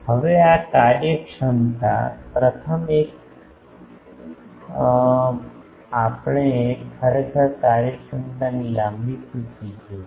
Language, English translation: Gujarati, Now, these efficiencies the first one actually we will see a long list of efficiencies at the end